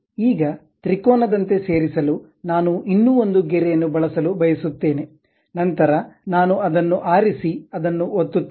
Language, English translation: Kannada, Now, I would like to use one more line to join like a triangle, then I will pick that one and click that one